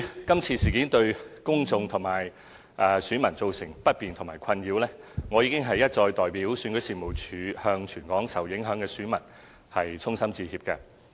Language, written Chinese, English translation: Cantonese, 今次事件對公眾及選民造成不便和困擾，對此我已經一再代表選舉事務處向全港受影響選民衷心致歉。, With regard to the inconvenience and distress this incident caused to the public and the electors I have sincerely apologized to affected electors throughout the territory repeatedly on behalf of REO